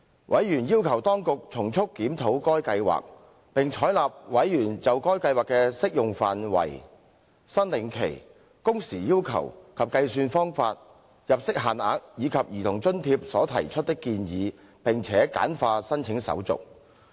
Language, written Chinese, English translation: Cantonese, 委員要求當局從速檢討該計劃，並採納委員就該計劃的適用範圍、申領期、工時要求及計算方法、入息限額，以及兒童津貼所提出的建議，並且簡化申請手續。, They requested the Government to expeditiously conduct a review of the Scheme; adopt the suggestions made by members in the applicability claim period working hours requirements and the relevant calculation method income limits and Child Allowance of the Scheme; and streamline application procedures